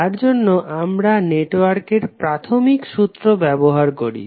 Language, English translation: Bengali, For that we use the fundamental theorem of network